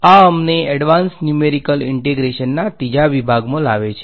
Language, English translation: Gujarati, That bring us to the third section on advanced Numerical Integration